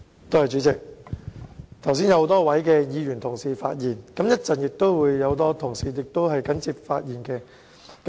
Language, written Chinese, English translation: Cantonese, 主席，剛才有很多位議員同事發言，稍後亦會有其他同事緊接發言。, President just now a number of Members have spoken . Other colleagues will speak later on